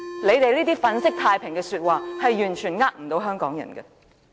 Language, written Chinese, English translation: Cantonese, 他們那些粉飾太平的說話，完全不能欺騙香港人。, All the remarks that gloss over the problems cannot fool Hong Kong people whatsoever